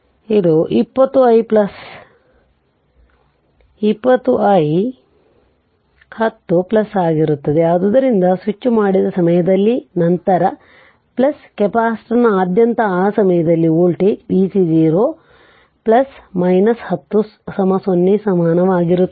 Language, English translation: Kannada, So, it will be 20 i 1 0 plus that is just at the time of switching, just after switching plus this voltage at that time across the capacitor is v c 0 plus minus 10 equal to 0 right